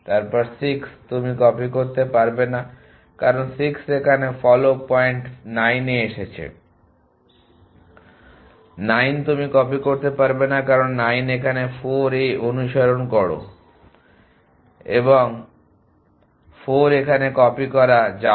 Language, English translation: Bengali, Then 6 you cannot copy, because 6 is here the follow the point got to 9, 9 you cannot copy, because 9 is here follow he point at 4 an 4 can be copy it here